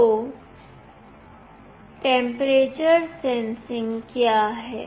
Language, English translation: Hindi, So, what is temperature sensing